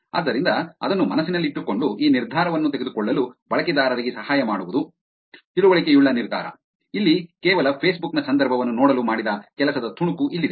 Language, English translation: Kannada, So, keeping that in mind, which is to help users make this decision informed decision here is a piece of work that was done to look at the context of just Facebook